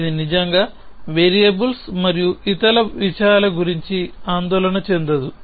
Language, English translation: Telugu, It not really worried about things like variables and so on